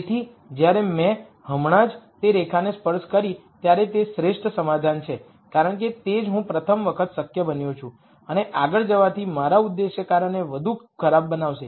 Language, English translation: Gujarati, So, when I just touched that line that is the best compromise because that is where I become feasible for the rst time and going any further would only make my objective function worse